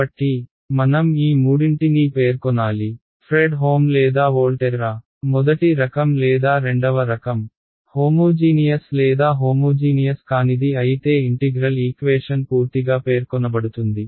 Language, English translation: Telugu, So, we need to specify all three: Fredholm or Volterra, first kind or second kind, homogeneous or non homogeneous then your integral equation is fully specified